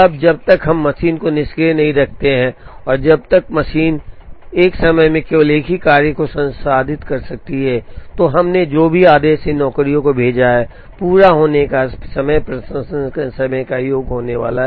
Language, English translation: Hindi, Now, as long as we do not keep the machine idle and as long as the machine can process only one job at a time, whatever order we sent these jobs, the last of the completion times is going to be the sum of the processing times, which is 30